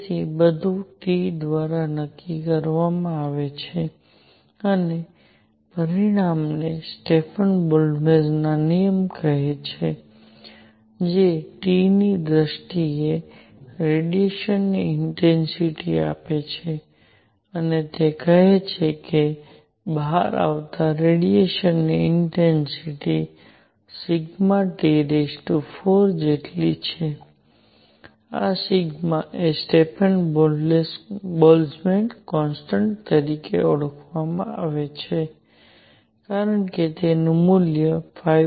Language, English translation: Gujarati, So, everything is determined by T and consequently there is something call the Stefan Boltzmann law that gives the intensity of radiation in terms of T and it says that the intensity of radiation coming out is equal to sigma T raise to 4, where sigma is known as Stefan Boltzmann constant as value is 5